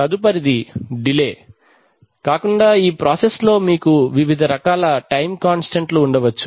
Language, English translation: Telugu, Next is and apart from delay, you could have various kinds of time constants in this process